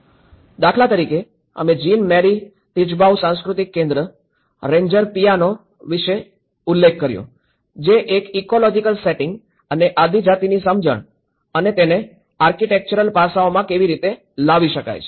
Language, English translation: Gujarati, Like for instance, we called about the Jean Marie Tjibaou cultural centre, Ranger piano, which talks about an ecological setting and the tribal understanding and how bringing that into the architectural aspects